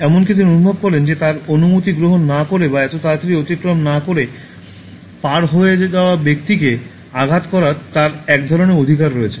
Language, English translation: Bengali, And he even feels that he has a kind of right to hit the person who crosses without taking his permission or darting across so quickly